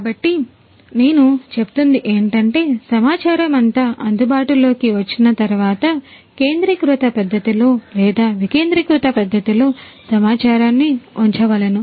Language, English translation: Telugu, So, I was telling you that after all this data are made available in a centralized manner or some decentralized manner as well